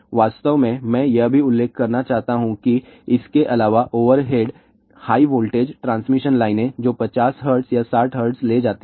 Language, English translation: Hindi, In fact, I also want to mention that in addition to this, overhead high voltage transmission line which carry 50 hertz or 60 hertz